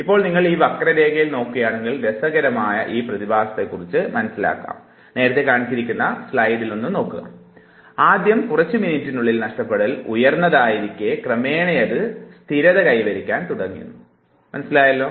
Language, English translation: Malayalam, Now if you look at this curve you will realize very interesting phenomena; the loss in the first few minutes is very high and gradually it starts stabilizing